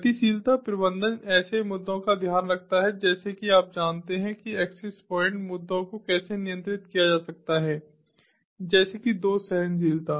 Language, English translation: Hindi, mobility management takes care of issues such as you know how to have scalable control of the access points, issues such as fault tolerance